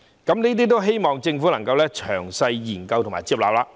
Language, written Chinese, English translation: Cantonese, 我希望政府能夠詳細研究和接納這些建議。, I hope that these proposals can be studied in detail and accepted by the Government